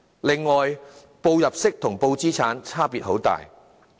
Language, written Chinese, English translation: Cantonese, 此外，申報入息與申報資產的差別很大。, Besides declaration of income is very much different from declaration of assets